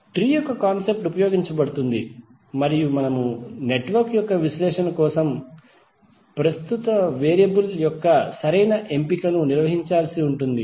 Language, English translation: Telugu, The concept of tree is used were we have to carry out the proper choice of current variable for the analysis of the network